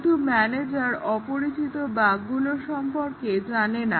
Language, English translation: Bengali, But then, the manager does not know what are the unknown bugs there